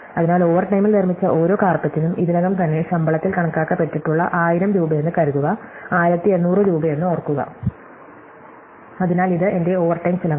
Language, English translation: Malayalam, So, each carpet made in overtime, remember cost 1800 rupees as suppose to 1000 rupees which is already accounted for in salary, so this is my overtime cost